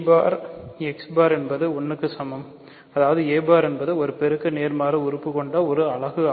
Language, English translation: Tamil, So, a bar x bar is 1; that means, a bar is a unit it has a multiplicative inverse